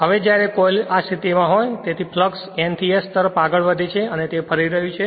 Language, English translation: Gujarati, Now when the coil is in like this position right, so flux moving from N to S and it is revolving